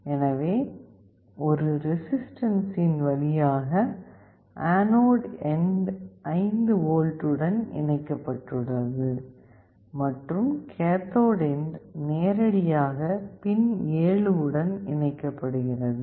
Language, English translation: Tamil, So, the anode end through a resistance is connected to 5V, and the cathode end is directly connected to pin 7